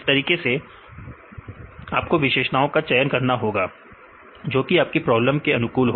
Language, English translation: Hindi, Likewise you have to choose the features right there should be applicable to your problem